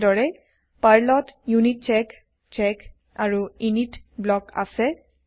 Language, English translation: Assamese, Similarly, PERL has UNITCHECK, CHECK and INIT blocks